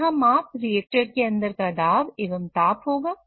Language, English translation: Hindi, So, here the measurements would be of pressure inside the reactor